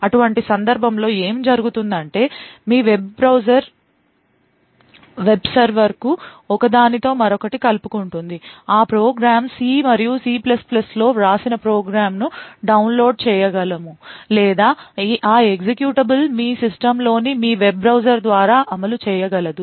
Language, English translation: Telugu, So in such a case what would happen is your web browser will connect to a web server download a program written in say C and C++ that program or that executable would then execute through your web browser in your system